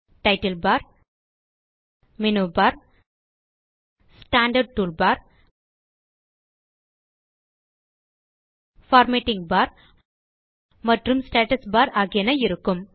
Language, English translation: Tamil, The Impress window has various tool bars like the title bar, the menu bar, the standard toolbar, the formatting bar and the status bar